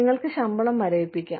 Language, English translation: Malayalam, You could, freeze the pay